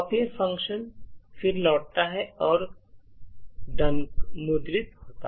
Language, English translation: Hindi, The copier function then returns and printf done is executed